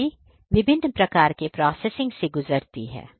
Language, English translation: Hindi, So, these raw materials undergo different types of processing